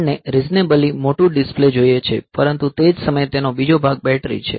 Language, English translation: Gujarati, So, we want reasonably large display, but at the same time another part of it is the battery